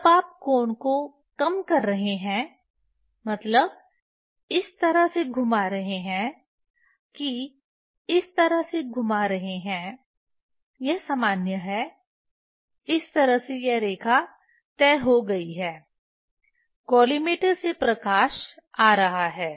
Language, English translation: Hindi, When you are decreasing the angle means rotating this way rotating this way that is normal will go this way this line is fixed from collimator light is coming